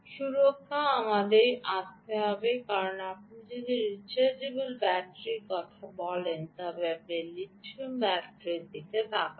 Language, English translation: Bengali, protection, we will have to come in, because if you are talking about a rechargeable battery, you are looking at lithium ah battery